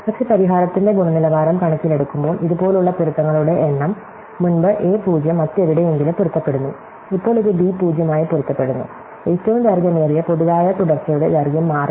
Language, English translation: Malayalam, But, in terms of the quality of the solution, the number of matches is the same, earlier a 0 matches somewhere else, now it match to b 0, the length of the longest common subsequence does not change